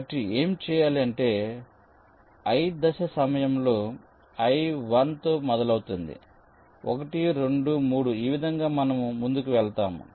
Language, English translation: Telugu, so what is done is that during step i, i starts with one, one, two, three